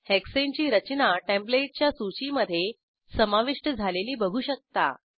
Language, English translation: Marathi, Observe that Hexane structure is added to the Template list